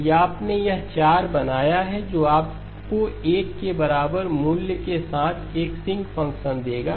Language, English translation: Hindi, If you made this 4 which is what will give you a sinc function with the peak value equal to 1